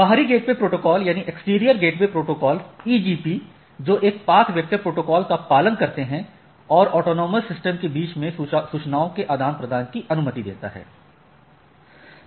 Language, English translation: Hindi, Exterior gateway protocol EGPs that is which are which follow a path vector protocol and it allows exchange of information across autonomous system